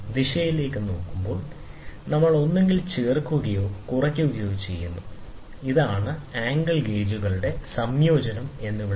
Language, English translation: Malayalam, Looking into the direction, we either add or subtract, so that is why it is called as the combination of angle gauges